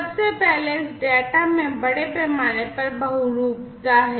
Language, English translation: Hindi, First of all this data has massive polymorphism in place